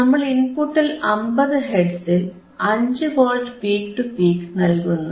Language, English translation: Malayalam, Frequency is 50 Hertz 50 Hertz right 50 Hertz frequency, 5 Volts peak to peak